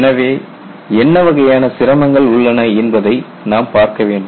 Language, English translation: Tamil, So, we will have to look at what is the kind of difficulties